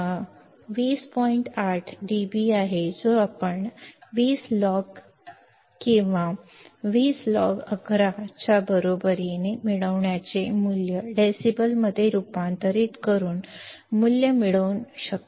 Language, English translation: Marathi, 8 dB this you can get by substituting the value of by converting the value of gain into decibels by using 20 log of gain or 20 log of 11 which is equal to 20